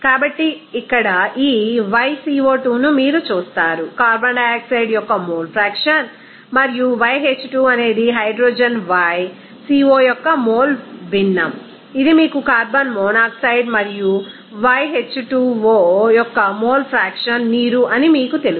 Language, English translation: Telugu, So, here this yco2 is represented by you know mole fraction of carbon dioxide and yH2 is mole fraction of hydrogen y co it is you know mole fraction of carbon monoxide and yH2 o is simply that mole fraction of you know water